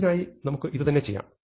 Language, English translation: Malayalam, So, we can do the same thing for list